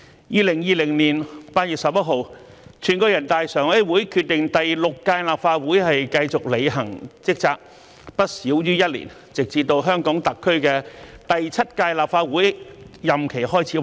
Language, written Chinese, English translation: Cantonese, 2020年8月11日，全國人民代表大會常務委員會決定由第六屆立法會繼續履行職責，不少於一年，直至香港特區第七屆立法會任期開始為止。, On 11 August 2020 the Standing Committee of the National Peoples Congress decided that the Sixth Legislative Council was to continue to discharge duties for not less than one year until the seventh - term of office of Legislative Council begins